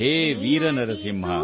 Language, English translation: Kannada, O brave Narasimha